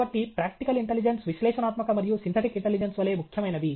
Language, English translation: Telugu, So, practical intelligence is as important as analytical and synthetic intelligence